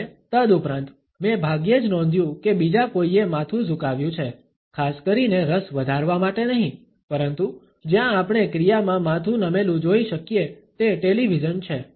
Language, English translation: Gujarati, And moreover, I barely noticed anyone else doing the head tilt especially, not for the sake of raising interest, but where we can see the head tilt in action is the television